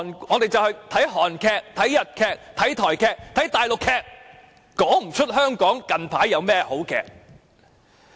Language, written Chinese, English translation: Cantonese, 我們現在看的是韓劇、日劇、台劇、大陸劇，但卻說不出香港近來有甚麼好劇集。, We are now watching Korean Japanese Taiwanese and Mainland - produced dramas but it seems difficult for us to name some good dramas produced recently in Hong Kong